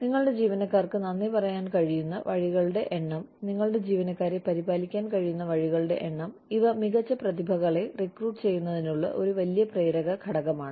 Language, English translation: Malayalam, The number of ways in which, you can thank your employees, the number of ways in which, you can look after your employees, is a big motivating factor, for recruiting the best talent